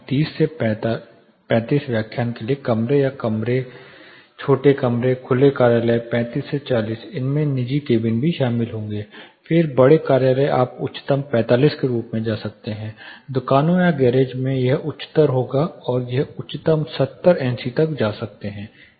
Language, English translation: Hindi, Conference rooms are rooms for lectures 30 to 35, small open offices 35 to 40 this would also include private cabins, then large offices you can go as highest 45, shops garages it would be higher and industries it can go as highest 70 NC